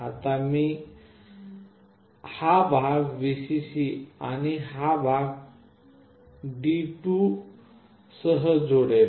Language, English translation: Marathi, Now I will connect this part with Vcc and this one with pin D2